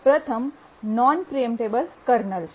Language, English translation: Gujarati, The first is non preemptible kernel